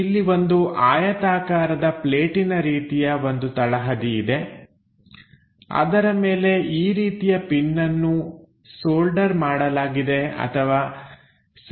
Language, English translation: Kannada, There is a base plate a rectangular plate on which this kind of pin is soldered or attached this one